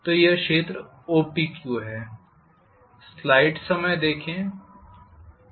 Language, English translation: Hindi, So this is area OPQ